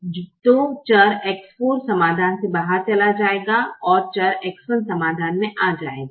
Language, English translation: Hindi, so the variable x four will go out of the solution and the variable x one will come in to the solution